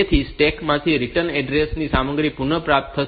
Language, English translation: Gujarati, So, it will retrieve the content of the return address from the stack